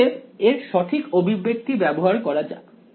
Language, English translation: Bengali, So, let us use the correct expression of here